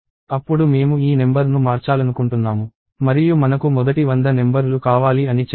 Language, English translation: Telugu, Then let us say I want to change this number and I want the first hundred numbers